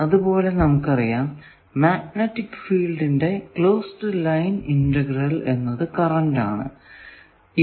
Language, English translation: Malayalam, Similarly, we know that the closed line integral of magnetic field gives us current